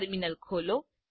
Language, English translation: Gujarati, Open the terminal